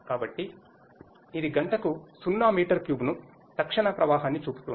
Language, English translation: Telugu, So, it is showing 0 meter cube per hour the instantaneous flow